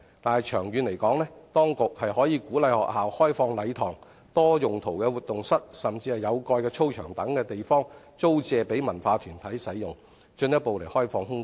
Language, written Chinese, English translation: Cantonese, 但是，長遠而言，當局應鼓勵學校開放禮堂、多用途活動室或有蓋操場等地方，租借予文化藝術團體使用，進一步開放空間。, In my view this direction is right but in the long run the authorities should encourage the schools to open up their halls multi - purpose rooms or covered playgrounds to be rented by cultural and arts troupes with a view to further opening up the room